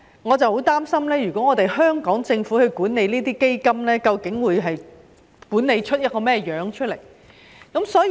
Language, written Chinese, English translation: Cantonese, 我十分擔心，如果是由香港政府管理這些基金，究竟會管理出甚麼樣子呢？, I am very worried that if these funds are managed by the Hong Kong Government how will these funds be managed?